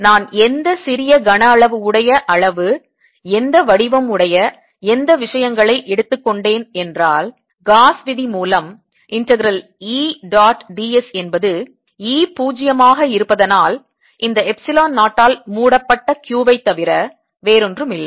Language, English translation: Tamil, if i take any small volume of any size, any shape, any things, then by gauss's law integral d, e, dot, d, s, since e zero, zero and this is nothing but q enclosed by epsilon zero